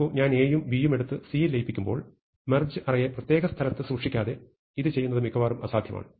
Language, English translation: Malayalam, See, when I take A and B and I merge it into C, it is almost impossible to do this without storing the merged array in a separate place